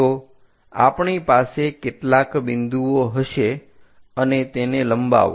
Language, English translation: Gujarati, So, we will have some point and extend that